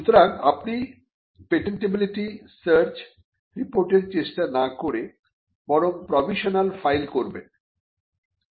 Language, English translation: Bengali, So, you would not then get into a patentability search report you would rather file a provisional